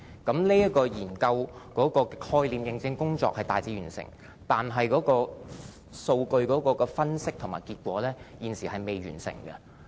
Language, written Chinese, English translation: Cantonese, 這個研究的概念認證工作已大致完成，但是，數據分析和結果現則未完結。, The proof - of - concept work of this study is generally completed but they are still working on data analysis and the conclusion